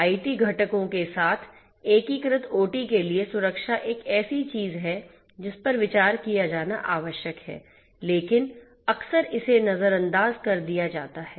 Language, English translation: Hindi, Security for OT integrated with IT components is something that is required to be considered, but is often ignored